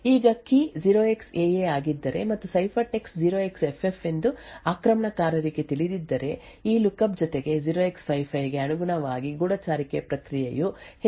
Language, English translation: Kannada, Now if the key is 0xAA and the attacker knows that the ciphertext is 0xFF, then corresponding to this lookup plus 0x55 the spy process would see an increased number of cache misses